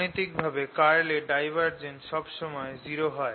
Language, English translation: Bengali, now, divergence of curl is always zero mathematically